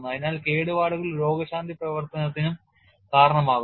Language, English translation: Malayalam, So, the damage even precipitates healing action also